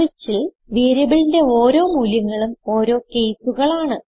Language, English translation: Malayalam, In switch we treat various values of the variable as cases